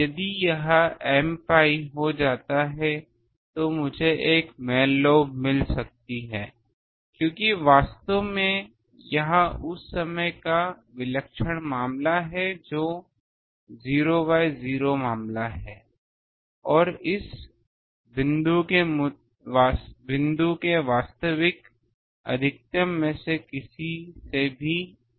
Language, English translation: Hindi, If it becomes m pi then I can get a main lobe because, this actually that time this is the singular case that is 0 by 0 case and that is much greater than any of the actual maximum of this point